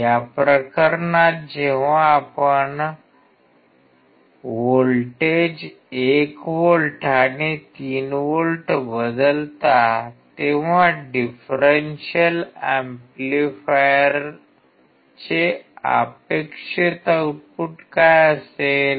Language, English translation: Marathi, In this case when you change the voltages 1 volt and 3 volt, what is the expected output of the differential amplifier